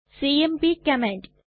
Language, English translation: Malayalam, The cmp command